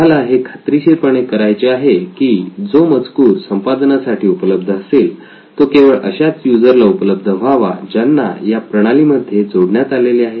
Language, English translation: Marathi, You want to ensure that whatever content is available for editing is only available to the users that have been added into the system, that are part of the system